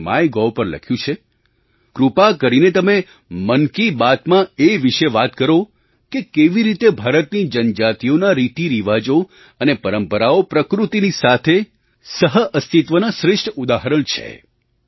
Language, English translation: Gujarati, He wrote on Mygov Please take up the topic "in Mann Ki Baat" as to how the tribes and their traditions and rituals are the best examples of coexistence with the nature